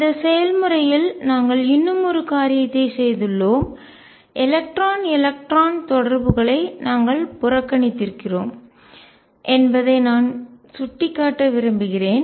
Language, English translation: Tamil, And this process we have also done one more thing and I must point that we have neglected the electron electron interaction